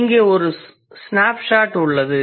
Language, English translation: Tamil, So here is a snapshot of that